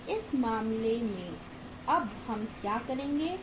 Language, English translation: Hindi, So in this case what we will do now